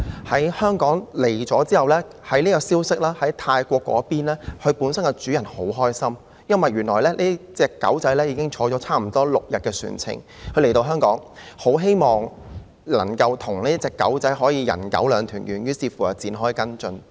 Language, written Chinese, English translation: Cantonese, 抵港後，消息傳到泰國，牠的主人十分高興，原來這隻小狗已經在船上差不多6天了，他很希望能夠與小狗"人狗兩團圓"，於是展開跟進。, On arrival this piece of news found its way to Thailand and its owner was delighted . It turned out that this little puppy had been on the ship for almost six days and the owner wanted very much to be reunited with it so he followed this matter up